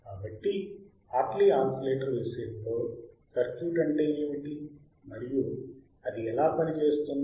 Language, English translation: Telugu, So, in case of Hartley oscillator what is athe circuit and how does it work